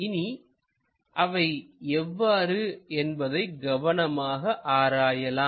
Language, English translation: Tamil, Let us carefully look at it